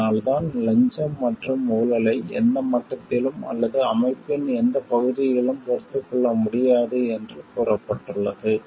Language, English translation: Tamil, And that is why it has been stated that bribery and corruption are not tolerated at any level or in any area of the organization